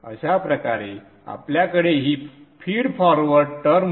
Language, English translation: Marathi, So this is called feed forward term